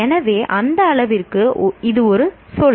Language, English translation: Tamil, So to that extent, it is a terminology